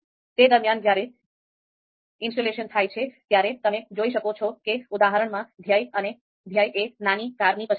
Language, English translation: Gujarati, So in the meantime while this installation takes place, you can see that in this example in the R script, the goal is choice of a small car